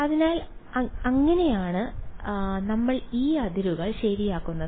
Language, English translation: Malayalam, So, that is that is how we will modify these boundaries ok